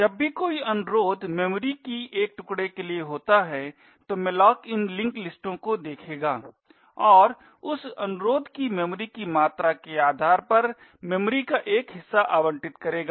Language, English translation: Hindi, In whenever a request occurs for a chunked of memory, then malloc would look into these linked lists and allocate a chunk of memory to that request depending on the amount of memory that gets requested